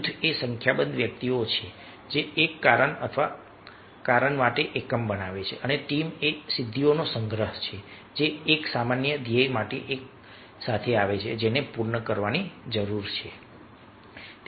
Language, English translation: Gujarati, a group is a number of individuals forming a unit for a reason or cause, and team is a collection of accomplished people coming together for a common goal that needs completion